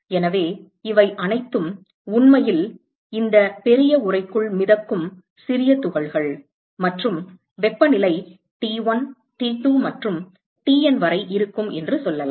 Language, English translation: Tamil, So, these are all minuscule particles which are actually floating inside this large enclosure and let us say that the temperatures are T1, T2 etcetera up to TN